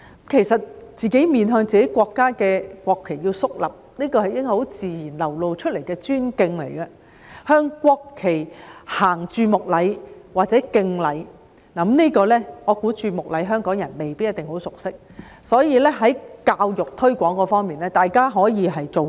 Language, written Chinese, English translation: Cantonese, 其實，自己在面向自己國家的國旗時要肅立，這應是很自然流露的尊敬，並向國旗行注目禮或敬禮；就此，我覺得香港人未必很熟悉注目禮，所以，在教育推廣方面，大家可以多下工夫。, In fact one should stand solemnly when facing the national flag of ones own country which should be a natural expression of respect and to look at the national flag with respectful attention or to salute the national flag . In this connection I think Hong Kong people may not be familiar with the etiquette of looking at the national flag with respectful attention . Therefore more efforts can be put in such promotion through education